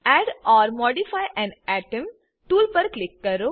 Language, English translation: Gujarati, Click on Add or modify an atom tool